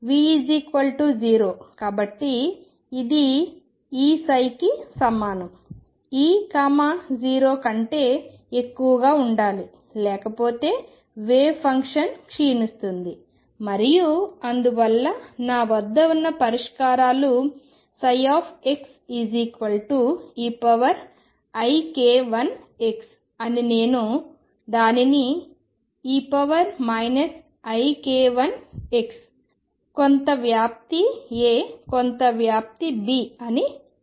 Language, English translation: Telugu, So, this is equal to E psi, E has to be greater than 0, otherwise the wave function decays and therefore, the solutions that I have are psi x equals e raised to i k let me call it k 1 x or e raised to minus i k 1 x some amplitude A, some amplitude B